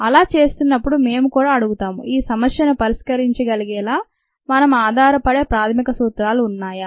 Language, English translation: Telugu, and while doing that, we will also ask: are there any basic principles that we can rely on to be able to solve this problem